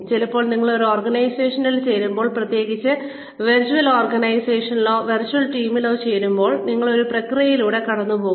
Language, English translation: Malayalam, Sometimes, when you join an organization, especially in virtual organizations, or virtual teams, you are put through a process